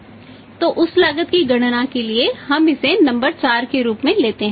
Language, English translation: Hindi, So, for calculating that cost we take it as number 4